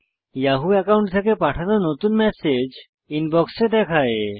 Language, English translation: Bengali, The new message sent from the yahoo account is displayed in the Inbox